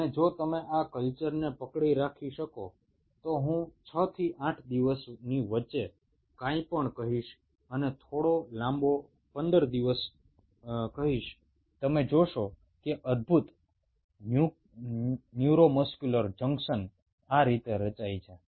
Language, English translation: Gujarati, ok, and if you can hold this culture for i would say anything between six to ten days and slightly longer, say fifteen days, you will see wonderful neuromuscular junctions getting formed like this